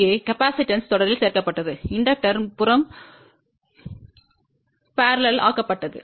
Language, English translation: Tamil, Here capacitor was added in series, inductor was added in shunt